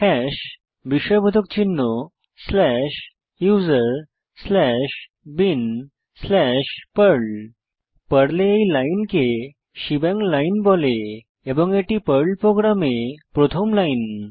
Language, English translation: Bengali, Hash exclamation mark slash usr slash bin slash perl This line in Perl is called as a shebang line and is the first line in a Perl program